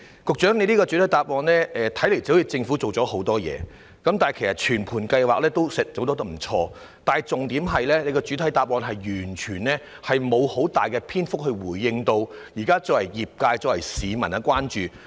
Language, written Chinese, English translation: Cantonese, 局長的主體答覆，驟眼看來政府好像做了很多工作，全盤計劃也做得不錯，但重點是局長的主體答覆沒有用大量篇幅回應現在業界和市民的關注。, At a glance the Secretarys main reply makes it seems like the Government has done a lot of work with a decent overall planning . However the point is that the Secretary did not go into great lengths in the main reply to respond to the current concerns of the both the industry and the public